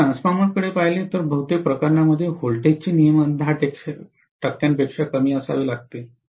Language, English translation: Marathi, If I look at a transformer, normally the voltage regulation has to be less than 10 percent, in most of the cases